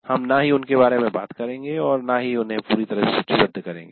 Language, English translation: Hindi, We are not going to exhaustively list them or deal with them